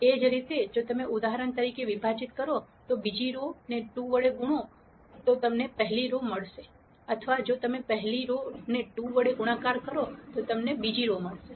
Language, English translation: Gujarati, Similarly if you divide for example, the second row by 2 you will get the first row or if you multiply the first row by 2 you get the second row